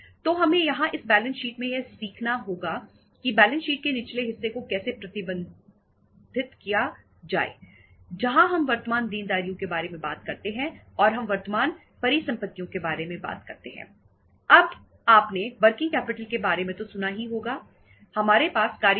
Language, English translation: Hindi, So we have to here learn that in this balance sheet how to manage the lower part of the balance sheet where we talk about the current liabilities and we talk about the current assets